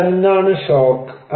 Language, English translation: Malayalam, So what are the shocks